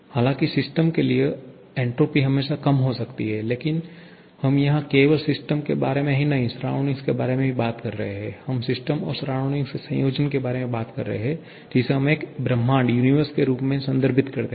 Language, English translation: Hindi, However, for the system entropy can always decrease but we are here talking not only about the system, not only about the surrounding, we are talking about the system surrounding combination which we refer as a universe